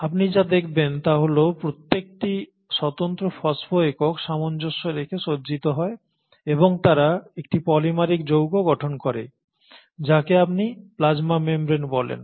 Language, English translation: Bengali, And what you find is that these phospho individual units arrange in tandem and they form a polymeric complex which is what you call as the plasma membrane